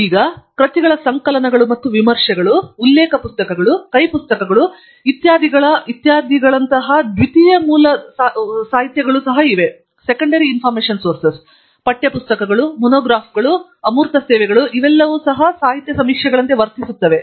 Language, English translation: Kannada, And, there are also secondary sources of literature such as compilations of works done, and reviews, reference books, hand books, etcetera; text books, monographs, and abstracting services all these can be also acting as literature surveys